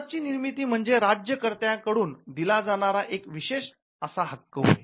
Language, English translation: Marathi, But the origin of their charter was an exclusive privilege the given by the ruler